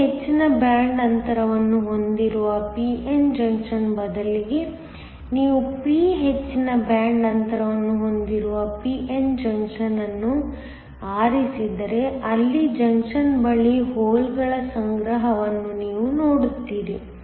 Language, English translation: Kannada, If instead of a p n junction, where the n has a higher band gap, if you choose a p n junction where p has the higher band gap